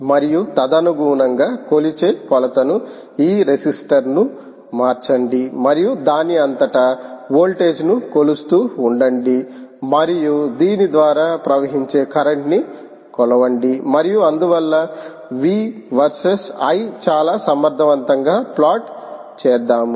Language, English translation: Telugu, drop and a accordingly, measure the ah, the keep measuring, keep changing this register and keep measuring the voltage across this and the current flowing across this and therefore plot v versus i ah quite effectively